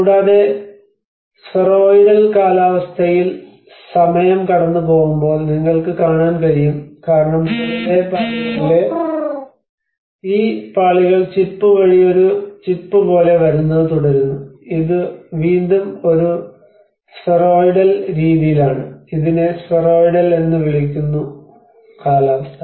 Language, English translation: Malayalam, \ \ \ And you can see also as time passes on the spheroidal weathering takes place because this layers on the top layers keeps coming like a chip by chip and this is again in a spheroidal manner, this is called spheroidal weathering